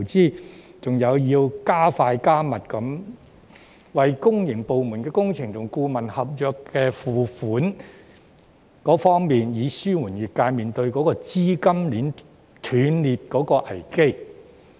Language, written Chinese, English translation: Cantonese, 當局還要加快、加密為公營部門的工程及顧問合約付款，以紓緩業界面對資金鏈斷裂的危機。, Moreover the authorities should increase the speed and frequency of the payment for works and consultancies contracts in the public sector so as to ease the crisis of capital chain rupture faced by the sector